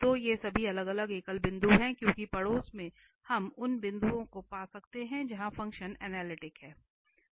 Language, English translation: Hindi, So, these all are the isolated singular points, because in the neighbourhood we can find the points where the function is analytic